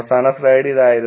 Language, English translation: Malayalam, Last slide was this